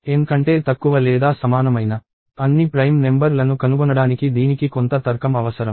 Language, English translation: Telugu, It requires some bit of logic to find out all the prime numbers that are less than or equal to N